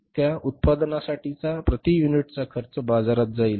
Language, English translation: Marathi, Per unit cost of for that production which will go to the market